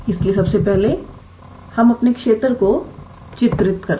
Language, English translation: Hindi, So, first of all let us draw our region